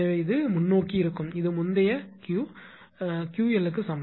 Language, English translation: Tamil, Therefore, it will be earlier it was earlier Q is equal to Q l